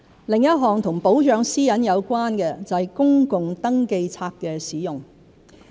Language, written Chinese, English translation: Cantonese, 另一項與保障私隱有關的就是公共登記冊的使用。, Another issue related to the protection of privacy is the use of public registers